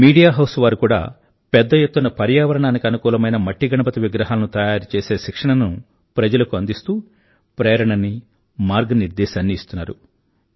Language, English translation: Telugu, Media houses too, are making a great effort in training people, inspiring them and guiding them towards ecofriendly Ganesh idols